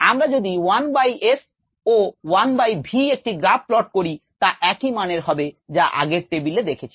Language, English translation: Bengali, if we plot a graph between one by s and one by v, these are the same values that we saw in the table earlier